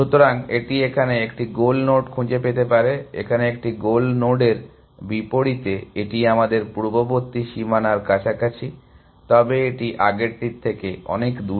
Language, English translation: Bengali, So, it might find a goal node here, as oppose to a goal node here, this is close to the previous bound that we had, but this is far there from the previous one